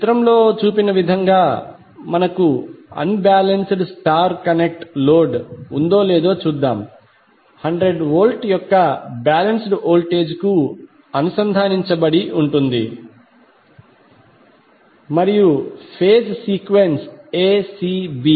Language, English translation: Telugu, Let us see if we have unbalanced star connected load as shown in the figure is connected to balanced voltage of hundred volt and the phase sequence is ACB